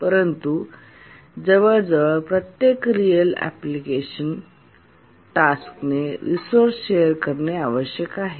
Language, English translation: Marathi, But then in almost every real application the tasks need to share resources